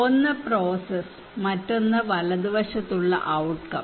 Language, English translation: Malayalam, One is the process one, another one is right hand side is the outcome one